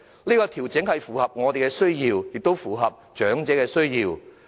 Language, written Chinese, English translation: Cantonese, 這項調整切合我們的需要，亦切合長者的需要。, Such an adjustment meets not only our needs but also those of elderly persons